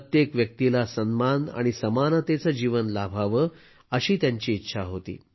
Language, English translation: Marathi, He wanted that every person should be entitled to a life of dignity and equality